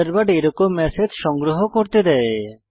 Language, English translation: Bengali, Thunderbird lets you archive such messages